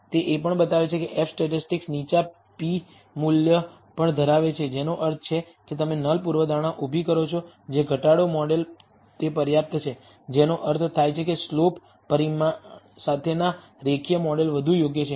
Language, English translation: Gujarati, It also shows that the f statistic has also a low p value which means, you raise the null hypothesis that reduce model is adequate which means the linear model with the slope parameter is a much better fit